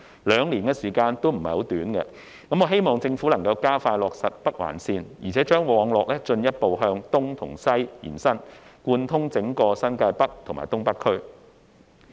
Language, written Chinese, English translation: Cantonese, 兩年時間並非短暫，我希望政府能加快落實北環綫，並將網絡進一步向東西延伸，貫通整個新界北及東北區。, Since two years is not a short time I hope that the Government can expedite the construction of the Northern Link and further extend the network eastwards and westwards to cover the whole New Territories North and North East New Territories